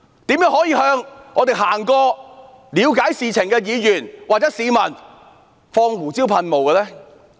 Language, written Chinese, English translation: Cantonese, 怎麼可以向我們路過了解事情的議員或市民施放胡椒噴霧？, How could they pepper spray Members and civilians who just walked past and wanted to inquire about what was happening?